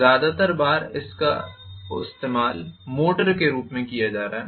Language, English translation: Hindi, Most of the times it is going to be used as a motor